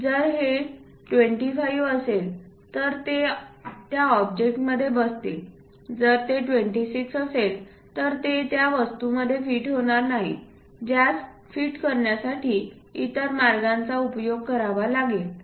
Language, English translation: Marathi, If this one is 25 it fits in that object, if it is 26 definitely it will not fit into that object one has to do other ways of trying to fit that